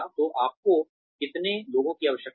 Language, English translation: Hindi, So, how many people do you need